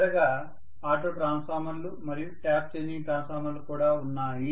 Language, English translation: Telugu, Last but not the least, there are also auto Transformers and Tap Changing transformer